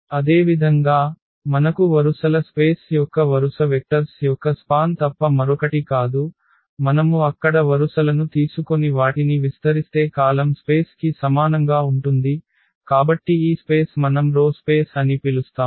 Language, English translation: Telugu, Similarly, we have the rows space row space is nothing but the span of the row vectors of A similar to the column space if we take the rows there and span them, so this space which we call the rows space